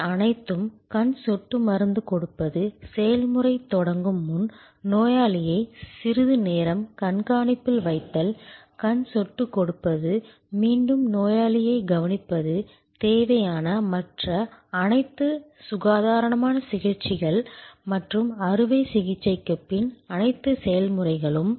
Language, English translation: Tamil, Everything, else giving eye drops, keeping the patient under observation for some time before the process starts, giving the eye drop, again observing the patient, all the other necessary hygienic treatments and post operation all the process